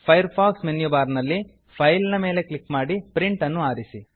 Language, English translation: Kannada, From the Firefox menu bar, click File and select Print